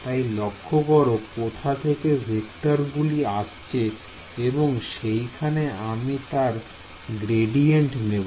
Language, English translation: Bengali, So, notice where the vectors are coming in from right I am taking a gradient of this right